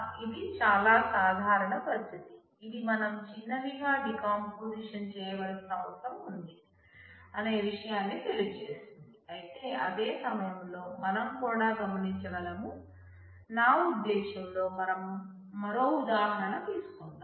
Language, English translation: Telugu, So, this is a situation, very common situation which is indicative of the fact that we need a decomposition into smaller, but at the same time we can also observe, I mean let us take a different example